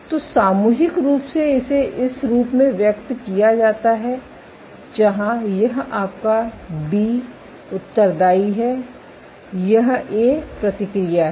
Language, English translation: Hindi, So, collectively it is expressed as this where this is your B responsive this is the A response